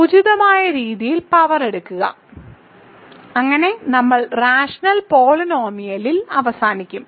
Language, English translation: Malayalam, So, the point is 2 square or take power suitably, so that we end up with the rational polynomial